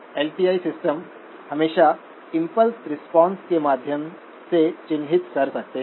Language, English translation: Hindi, LTI systems can always characterize by means of an impulse response